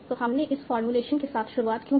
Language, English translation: Hindi, So why we started with this formula